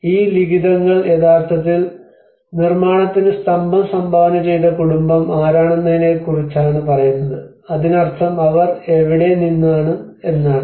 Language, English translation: Malayalam, So, it says, these inscriptions are telling actually about who is the family who have donated to the construction the pillar, so which means and from where they belong to